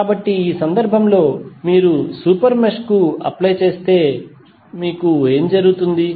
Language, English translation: Telugu, So, in this case if you apply to super mesh what will happen